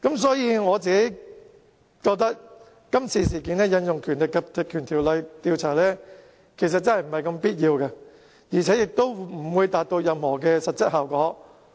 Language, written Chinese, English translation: Cantonese, 所以，我本人覺得，今次這事件引用這項條例調查，實在未必有必要，而且亦不會達到任何實際效果。, For that reason I personally consider that it is actually not necessary for us to invoke the Legislative Council Ordinance to conduct the inquiry and I think that we may not achieve any actual effect